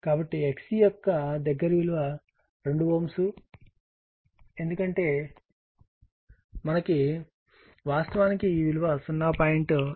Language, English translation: Telugu, So, the closest value of x C is 2 ohm right, because we will got actually what you call, it is 0